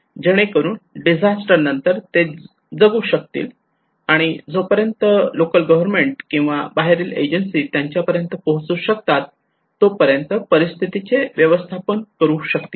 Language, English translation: Marathi, So that just after the disaster they can survive they can manage the situation okay and until and unless the local government or external agencies are able to reach to them